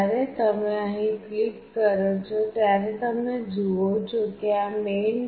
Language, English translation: Gujarati, When you click here you see this is the main